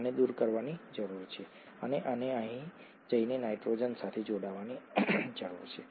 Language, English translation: Gujarati, This one needs to be removed and this one needs to go and attach to nitrogen here